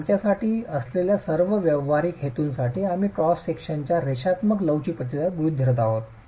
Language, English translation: Marathi, So for all practical purposes, with the, for us we are assuming linear elastic response of the cross section